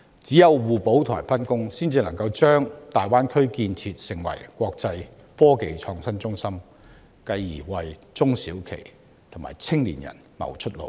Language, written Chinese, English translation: Cantonese, 唯有互補和分工，才能將大灣區建設成為國際科技創新中心，繼而為中小企和青年人謀出路。, The Greater Bay Area can only be developed into an international technology and innovation centre to give our SMEs and young people a better future if the member cites are willing to work together and complement their strengths